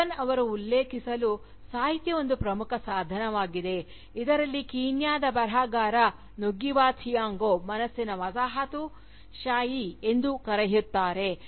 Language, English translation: Kannada, To quote Huggan, “Literature, is a vital tool, in what the Kenyan writer Ngugi Wa Thiong'o calls, decolonisation of the mind